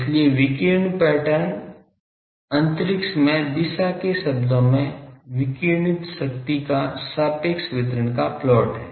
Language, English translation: Hindi, So, radiation pattern is plot of relative distribution of radiated power as a function of direction in space ok